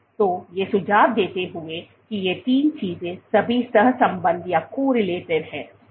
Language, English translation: Hindi, So, these suggest that these three things are all correlated, these three things are all correlated